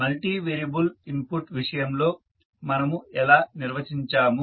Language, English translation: Telugu, How we will define in case of multivariable input